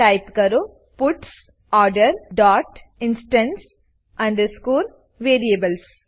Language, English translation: Gujarati, Type puts Order dot instance underscore variables